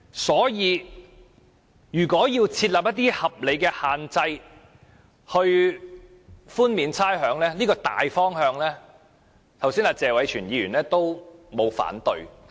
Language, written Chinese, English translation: Cantonese, 所以，為寬免差餉而設立一套合理限制，這個大方向沒有人反對，剛才謝偉銓議員也沒有反對。, Hence no one would object the general direction of drawing up a set of reasonable restrictions on rates concession . Just now Mr Tony TSE also has not raised any objection